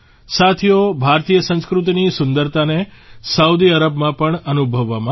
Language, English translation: Gujarati, Friends, the beauty of Indian culture was felt in Saudi Arabia also